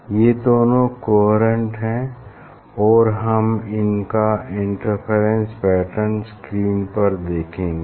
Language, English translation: Hindi, these two will be coherent and we will see the interference pattern on the screen